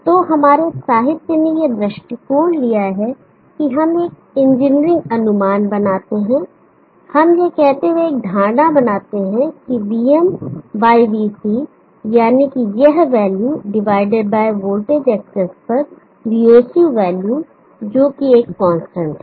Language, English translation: Hindi, So our literature has taken this approach that we make an engineering approximation, we make an assumption saying that VM/VOC that is this values divided by VOC value on the voltage access is a constant